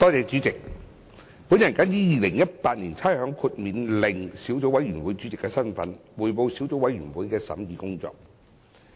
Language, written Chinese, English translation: Cantonese, 主席，我謹以《2018年差餉令》小組委員會主席的身份，匯報小組委員會的審議工作。, President in my capacity as Chairman of the Subcommittee on Rating Exemption Order 2018 I now report on the deliberations of the Subcommittee